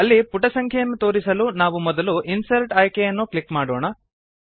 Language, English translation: Kannada, To display the page number in the footer, we shall first click on the Insert option